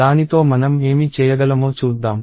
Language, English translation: Telugu, Let us see what we can do with it